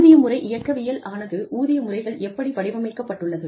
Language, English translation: Tamil, Pay system mechanics deal with, how pay systems are designed